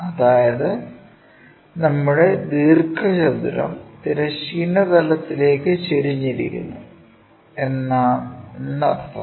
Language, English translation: Malayalam, Let us look at if the same rectangle is inclined to horizontal plane